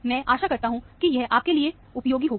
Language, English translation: Hindi, I hope these tips are very useful to you